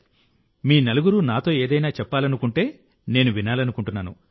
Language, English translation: Telugu, Well, if all four of you want to say something to me, I would like to hear it